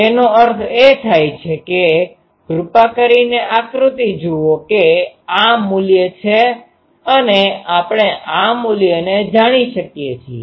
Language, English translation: Gujarati, So, it becomes so that means, please look at the diagram that this is this value and we know this value